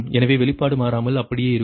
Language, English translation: Tamil, so expression will remain same, no change, right